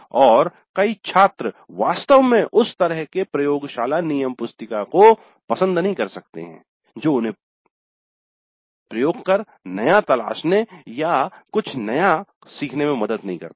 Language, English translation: Hindi, And many of the students actually may not like that kind of laboratory manual which does not help them to explore experiment or learn anything new